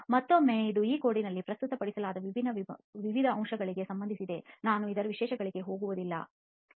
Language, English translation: Kannada, Again this is regarding various different aspects which are presented in this code I am not really going into the details of this